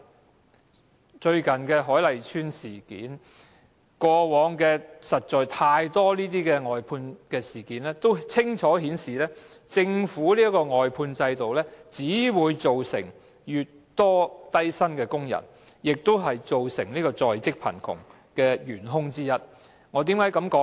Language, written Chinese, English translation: Cantonese, 大家也看到最近的海麗邨事件，而過往實在有太多有關外判的事件均清楚顯示，政府的外判制度只會造成更多低薪工人，亦是造成在職貧窮的元兇之一。, Members have seen what happened in the Hoi Lai Estate incident recently and in the past there were indeed too many incidents relating to outsourcing that clearly showed that the Governments outsourcing system will only create a larger pool of low - income workers and is a chief culprit for in - work poverty